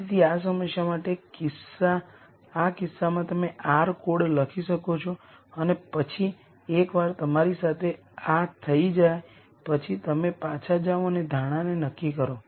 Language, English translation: Gujarati, So, in this case for this problem you might write an r code and then once you are done with this then you go back and assess the assumption